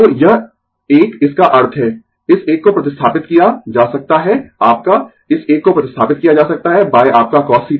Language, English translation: Hindi, So, this one that means, this one can be replaced your, this one can be replaced by your cos theta